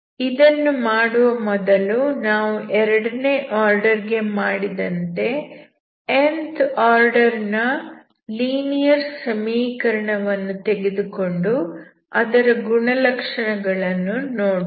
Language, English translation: Kannada, Before I do this, we will take the nth order linear equation and we look at the properties as we have seen for the second order